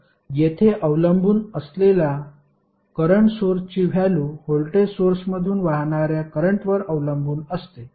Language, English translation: Marathi, So, here the dependent current source value is depending upon the current which is flowing from the voltage source